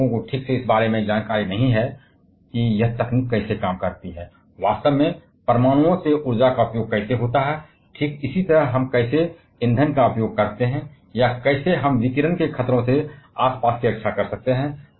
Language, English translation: Hindi, People are not properly aware about exactly about how this technology works, exactly how energy is harnesses from the atoms, exactly how we use the fuel or on how we can protect the surrounding from radiation hazards